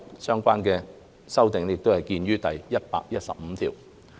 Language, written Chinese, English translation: Cantonese, 相關修訂見於第115條。, Please see clause 115 for the relevant amendments